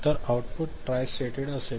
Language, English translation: Marathi, So, output is tri stated ok